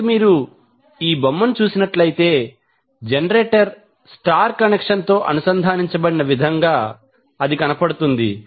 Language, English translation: Telugu, So, if you see this particular figure the generator is wound in such a way that it is star connected